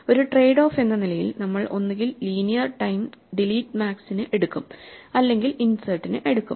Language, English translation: Malayalam, So, as a trade off we either take linear time for delete max or linear time for insert